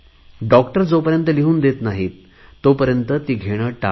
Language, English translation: Marathi, Avoid it till a doctor gives you a prescription